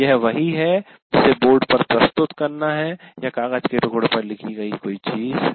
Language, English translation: Hindi, That is something is presented on the board or something is written on a piece of paper